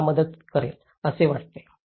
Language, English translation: Marathi, I think that will help you